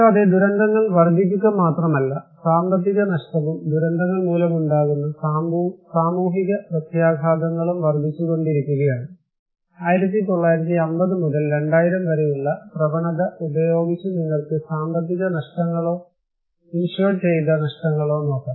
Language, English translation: Malayalam, Also, not only the disasters are increasing, but economic loss and social impacts due to disasters are increasing, here is one you can look at economic losses or insured losses with trend from 1950’s to 2000 that is for sure that it is increasing